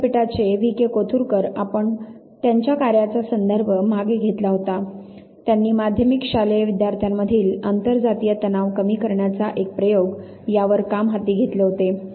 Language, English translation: Marathi, V K Kothurkar, we had refer to his work sometime back from the university of Puna he took up the work on the an experiment in the reduction of inter caste tension among secondary school students